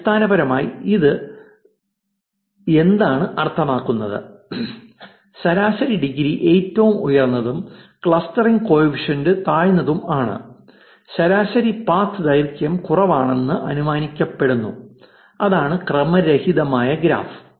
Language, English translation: Malayalam, Basically what does it mean it means average degree being highest, clustering coefficient being lowest, average path length being lowest is inferred that is it is the random graph